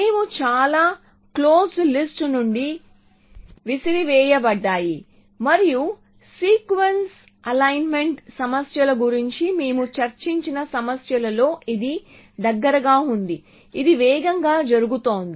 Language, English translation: Telugu, So, we are thrown away most of the close list and in the kind of problems that we discussed the sequence alignment problems it is close which is going faster